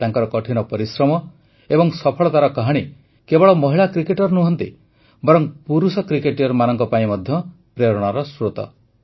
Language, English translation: Odia, The story of her perseverance and success is an inspiration not just for women cricketers but for men cricketers too